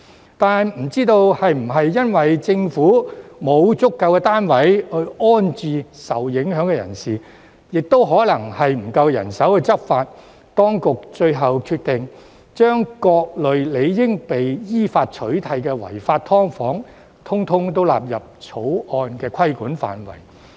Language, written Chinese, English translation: Cantonese, 然而，不知道是否因政府沒有足夠單位安置受影響人士，還是欠缺人手執法，當局最後決定將各類理應被依法取締的違法"劏房"，通通都納入《條例草案》的規管範圍。, However perhaps the Government does not have sufficient units to rehouse the affected persons or it lacks manpower to enforce the law the authorities have finally decided to extend the scope of regulation proposed in the Bill to include all types of illegal SDUs that should be prohibited by law